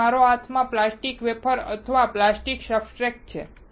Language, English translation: Gujarati, So, this is a plastic wafer or plastic substrate in my hand